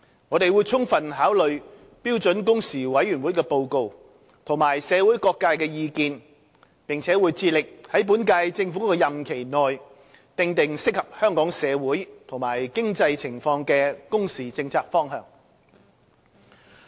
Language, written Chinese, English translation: Cantonese, 我們會充分考慮標準工時委員會的報告及社會各界的意見，並會致力在本屆政府的任期內訂定適合香港社會和經濟情況的工時政策方向。, We will take full account of the report of the Committee and the views of various sectors of the community and strive to map out within the term of the current Government the working hours policy direction that suits Hong Kongs socio - economic situation